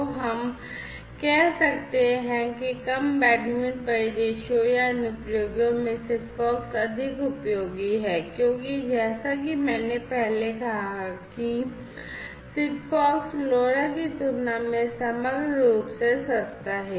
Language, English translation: Hindi, So, basically in low bandwidth scenarios or applications SIGFOX will be more useful, because as I said earlier SIGFOX is overall cheaper compared to LoRa